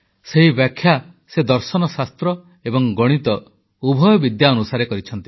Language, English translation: Odia, And he has explained it both from a philosophical as well as a mathematical standpoint